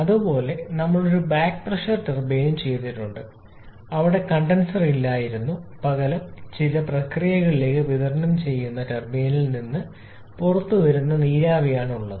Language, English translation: Malayalam, Similarly, we also have done a back pressure turbine with there was no condenser whether the steam that is coming out of the turbine that is been supplied to some process